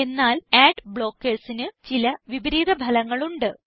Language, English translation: Malayalam, However, using ad blockers have some negative consequences